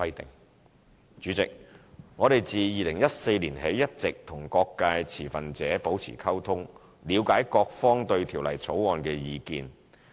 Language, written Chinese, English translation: Cantonese, 代理主席，我們自2014年起一直與各界持份者保持溝通，了解各方對《條例草案》的意見。, Deputy President we have been maintaining dialogue with stakeholders since 2014 in order to understand their views on the Bill